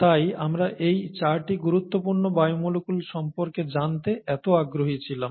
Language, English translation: Bengali, That’s why we were so interested in knowing about these 4 fundamental biomolecules